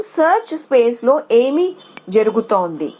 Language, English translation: Telugu, So, what is happened in our search space